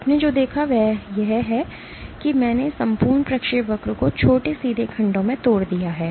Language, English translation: Hindi, What you saw is I have broken this entire trajectory to short straight segments